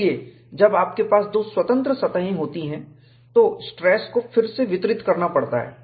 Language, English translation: Hindi, So, when you have 2 free surfaces, the stress has to be redistributed